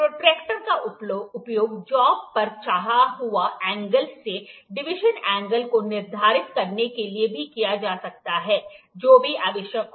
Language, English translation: Hindi, The protractor can also be used to determine the deviation of angle on the job from the desired one whatever it is required